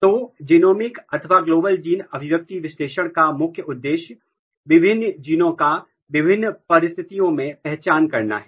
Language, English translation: Hindi, So, the main goal of a genomics or Global gene expression analysis is, to identify the differential genes in different conditions